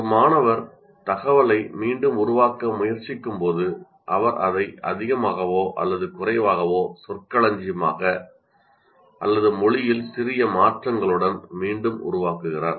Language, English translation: Tamil, That means a student is exactly trying to reproduce the information more or less verbating or with the minor changes in the language